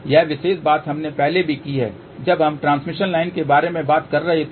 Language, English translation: Hindi, This particular thing we have done earlier also, when we were talking about transmission line